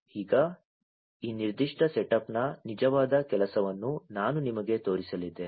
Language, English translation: Kannada, Now, I am going to show you the actual working of this particular setup